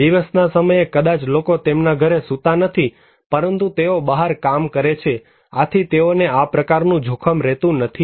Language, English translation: Gujarati, But day time maybe people are not sleeping at their home but they are working outside so, they are not exposed to that kind of risk